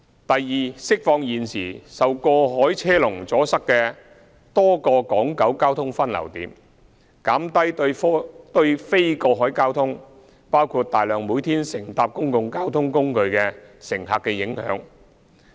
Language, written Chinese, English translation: Cantonese, 第二，釋放現時受過海車龍阻塞的多個港九交通分流點，減低對非過海交通，包括大量每天乘搭公共交通工具的乘客的影響。, Second it will release various traffic junctions on Hong Kong Island and in Kowloon that are now obstructed by cross - harbour traffic queues thus minimizing the impact on non - cross - harbour traffic including a large number of passengers who use public transport every day